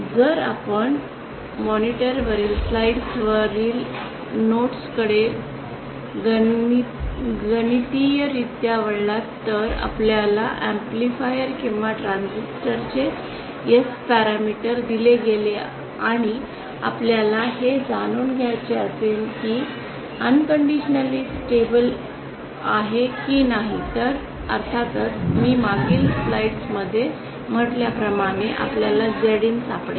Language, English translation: Marathi, If you turn to the notes on the slides on the monitor mathematically if you are given the S parameters of an amplifier or a transistor and you want to know whether it is unconditionally stable then of course you can find OUT Z IN like I said in the previous slide